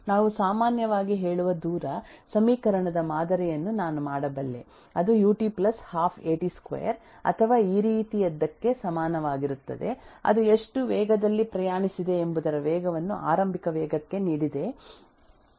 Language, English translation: Kannada, I can make a model of the time distance equation we typically say s is equal to ut plus half 80 square or something like this which will tell me given the time the initial velocity the acceleration as to how much distance it has traveled